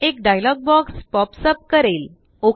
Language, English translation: Marathi, A dialog box pop up